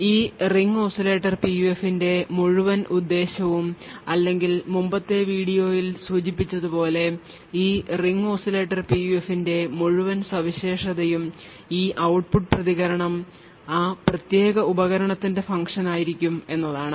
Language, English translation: Malayalam, Now the entire purpose of this Ring Oscillator PUF or the entire uniqueness of this Ring Oscillator PUF as mentioned in the previous video is that this output response is going to be a function of that particular device